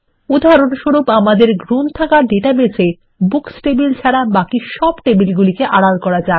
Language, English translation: Bengali, As an example, let us hide all tables except the Books table in the Library database